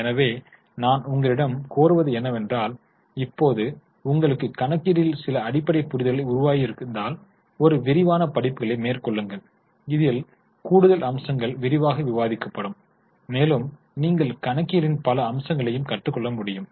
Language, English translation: Tamil, So, what I would request you is, now if you have developed some basic understanding, go for a detailed accounting book or some other web courses in accounting wherein more aspects would be detailed, would be discussed and you can learn more and more aspects of accounting